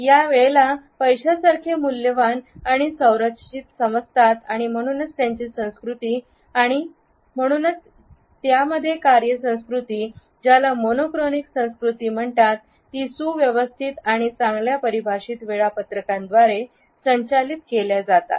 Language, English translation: Marathi, They look at time as money as value which has to be structured and therefore, their culture and therefore, the work cultures in these monochronic cultures are governed by a well structured and well defined schedules